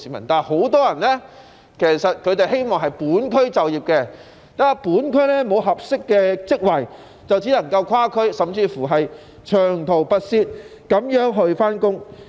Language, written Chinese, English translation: Cantonese, 然而，很多市民都希望在本區就業，但由於本區沒有合適的職位，便只能長途跋涉跨區工作。, However many residents hope to work in their locality but given the lack of suitable jobs in the district they can only travel a long way to other districts for work